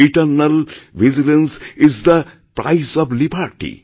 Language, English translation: Bengali, Eternal Vigilance is the Price of Liberty